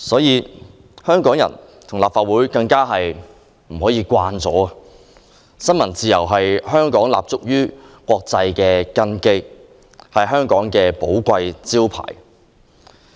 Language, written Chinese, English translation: Cantonese, 然而，香港人和立法會絕不可因而變得麻木，因為新聞自由是香港立足國際的根基，是香港的寶貴招牌。, Hong Kong people and the Legislative Council however must not go numb because freedom of the press is the very thing that gives Hong Kong an international footing and it is a valuable trademark of Hong Kong